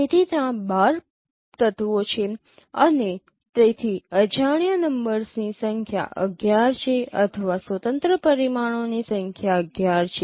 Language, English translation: Gujarati, So there are 12 elements and so number of unknowns are 11 or number of independent parameter is 11